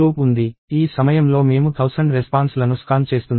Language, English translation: Telugu, So, at this point we are scanning thousand responses